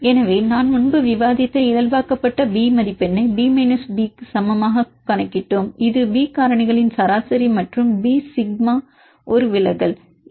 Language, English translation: Tamil, So, we calculated the normalized B score I discussed earlier this equal to B minus B mean this is a average of these B factors and B sigma is a deviation